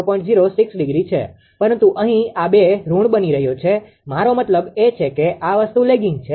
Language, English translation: Gujarati, 06 degree, but here these two are becoming your negative; I mean lagging this thing right